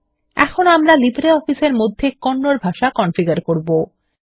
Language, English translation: Bengali, Now we will configure Kannada processing in LibreOffice